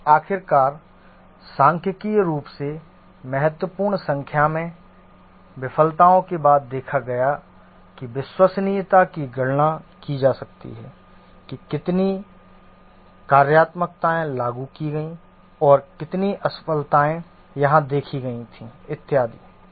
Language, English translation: Hindi, And finally, after a statistically significant number of failures have been observed, the reliability can be computed, that is how many functionalities were invoked and how many failures were observed and so on